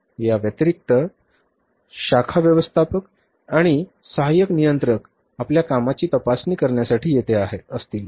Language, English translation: Marathi, In addition, tomorrow the branch manager and the assistant controller will be here to examine your work